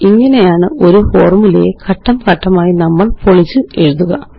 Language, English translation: Malayalam, This is how we can break down complex formulae and build them part by part